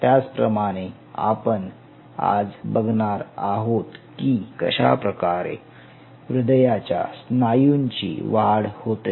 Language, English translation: Marathi, in the same line, today we will talk about how to grow the cardiac muscle